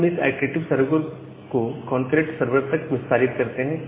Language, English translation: Hindi, Now, we extend this iterative sever to a concurrent server